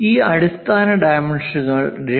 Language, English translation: Malayalam, These basic dimensions 2